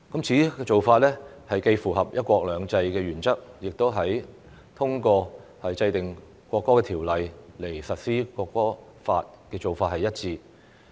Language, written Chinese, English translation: Cantonese, 此做法既符合"一國兩制"原則，亦和通過制定《國歌條例》來實施《國歌法》的做法一致。, This approach is consistent with the principle of one country two systems and the implementation of the National Anthem Law by way of the enactment of the National Anthem Ordinance in Hong Kong